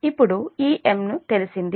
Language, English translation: Telugu, now this m is known